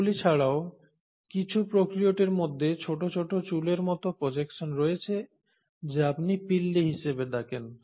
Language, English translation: Bengali, Another interesting feature which the prokaryotes have is a long hair like or projection which is what you call as the flagella